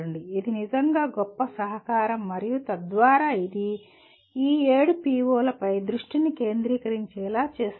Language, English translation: Telugu, That would be a really a great contribution as well as it will bring it to your attention to these 7 POs